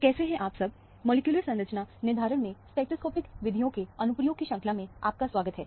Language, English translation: Hindi, Hello, welcome to the course on Application of Spectroscopic Methods in Molecular Structure Determination